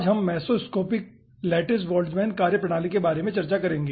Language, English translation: Hindi, today we will be discussing about mesoscopic lattice boltzmann methodology